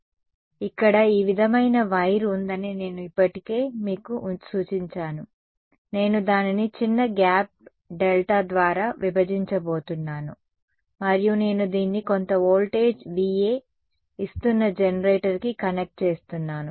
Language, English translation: Telugu, So, one I have already sort of indicated to you that here is your sort of wire, I am just going to split it by a small gap delta and I am going to connect this to a generator which puts some voltage V A